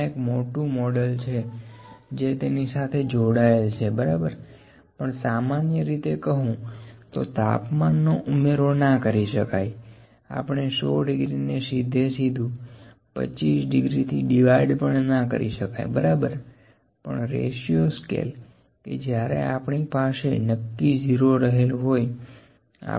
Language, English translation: Gujarati, There is a big model associated with that we can do that, ok, but in general I will say the temperatures are not directly additional we cannot divide 100 degrees by 25 degrees directly, ok, but ratio scale is one when we have the definite 0